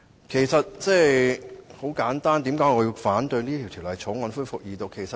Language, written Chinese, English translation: Cantonese, 為何我反對《條例草案》恢復二讀呢？, Why do I oppose the resumed Second Reading of the Bill?